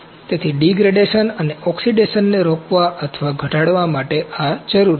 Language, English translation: Gujarati, So, this is required to prevent or minimize degradation and oxidation